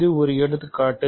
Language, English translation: Tamil, So, this is an example